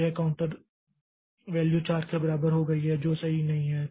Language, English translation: Hindi, So, this this counter value has become equal to 4 which is not the correct one